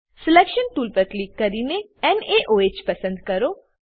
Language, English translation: Gujarati, Click on Selection tool and select NaOH